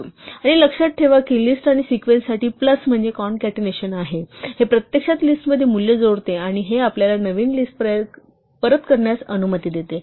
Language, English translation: Marathi, And remember that plus for a list and for a sequence is concatenation; it actually adds a value to a list, and this allows us to return a new list